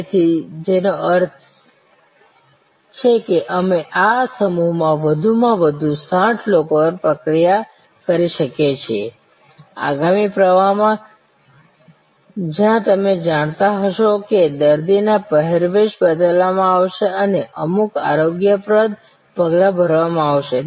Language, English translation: Gujarati, So, which means at the most we can process 60 people in this block, in the next flow where there may be you know the patients dress will be changed and certain hygienic steps will be done